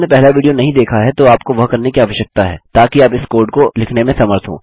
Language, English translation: Hindi, If you have not watched the 1st video you need to do so, to be able to write this code out